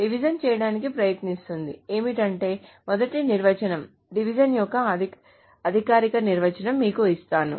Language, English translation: Telugu, Essentially what division tries to do is let me give you the first big definition, the formal definition of division